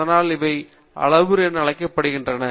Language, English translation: Tamil, That is why these are called as parameters